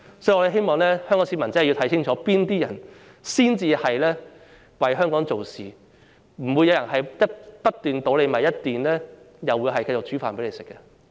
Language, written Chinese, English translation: Cantonese, 所以，我希望香港市民真的要看清楚，哪些人才是為香港做事，不會有人一邊"倒米"，一邊繼續為大家做飯的。, Therefore I hope the people of Hong Kong will really see clearly who are actually serving Hong Kong as no one would throw the rice away while cooking a meal for us